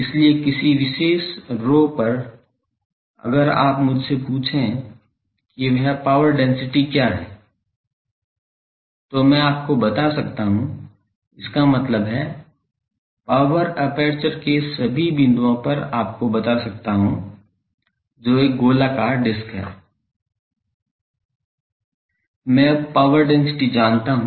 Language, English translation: Hindi, So, at a particular rho if you ask me that what is the power density putting that value I can tell you; that means, at all points on the power aperture, which is a circular disc I now know the power density